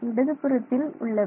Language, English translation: Tamil, Left hand side